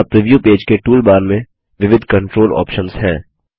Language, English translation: Hindi, There are various controls options in the tool bar of the preview page